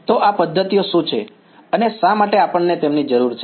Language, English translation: Gujarati, So, what are these methods and why do we need them